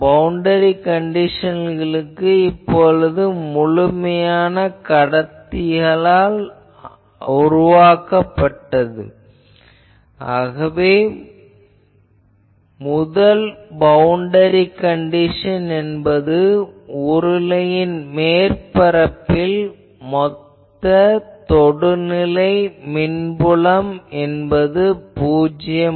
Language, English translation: Tamil, You see always these boundary conditions that one is since this is made of perfect conductors, so we will say the first boundary condition is total tangential electric field will be 0 on cylindrical surface sorry cylindrical surface